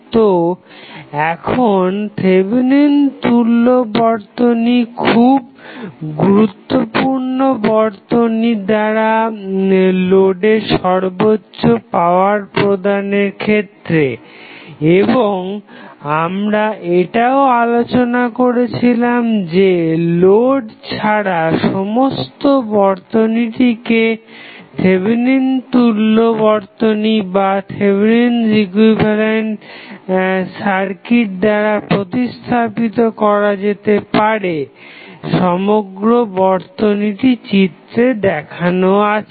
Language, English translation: Bengali, So, now, Thevenin equality is very useful in finding the maximum power a linear circuit can deliver to the load and we also discuss that entire circuit is replaced by Thevenin equivalent except for the load the overall circuit can be shown as given in the figure